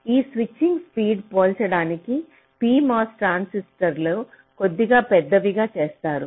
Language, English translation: Telugu, so to make this switching speed comparable, the p mos transistors are made slightly bigger